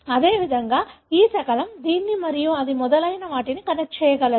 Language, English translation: Telugu, Likewise, this fragment is able to connect this and this and so on